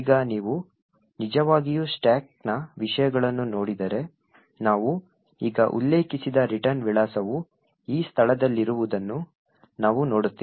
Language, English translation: Kannada, Now if you actually look at the contents of the stack we see that the return address what we just mentioned is at this location